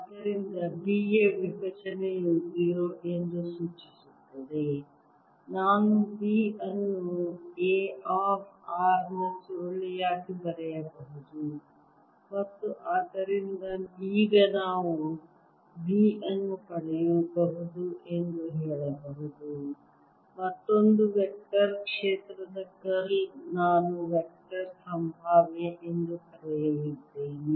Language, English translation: Kannada, so divergence of b is zero implies where i can write b as curl of a, of r, and therefore now we can say that b can be obtained as the curl of another vector, field, a, which i am going to call the vector potential